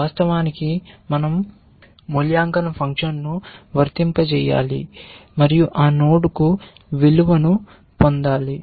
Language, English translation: Telugu, In fact we have to apply the evaluation function and get a value for that node